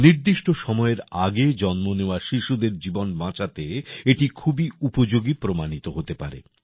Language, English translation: Bengali, This can prove to be very helpful in saving the lives of babies who are born prematurely